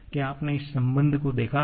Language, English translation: Hindi, Have you seen this relation